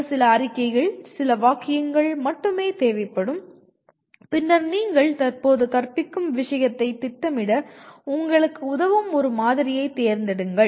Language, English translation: Tamil, It could be a few statements, few sentences that are all required and then select a model of teaching that you consider will help you to plan your teaching the subject that you are presently concerned with